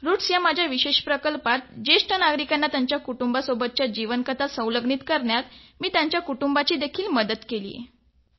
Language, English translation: Marathi, In my special project called 'Roots' where I help them document their life stories for their families